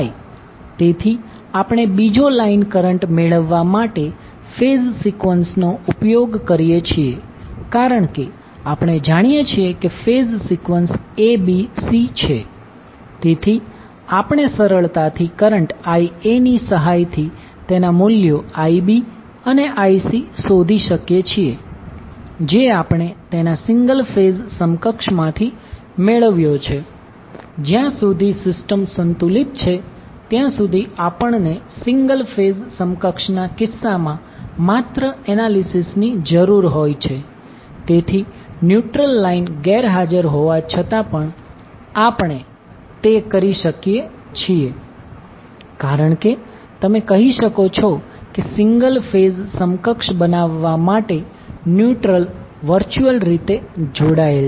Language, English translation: Gujarati, So we use phase sequence to obtain the other line currents because we know that the phase sequence is ABC, so we can easily find out the values of IB and IC with help of current IA which we got from its single phase equivalent so as long as the system is balanced we need only analysis in case of single phase equivalent, so we can all we may do so even if the neutral line is absent because you can say that neutral is virtually connected for creating the single phase equivalent